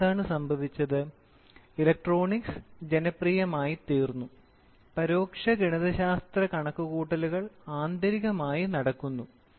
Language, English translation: Malayalam, Or nowadays what has happened, the electronics have become so friendly the indirect mathematical calculations are internally done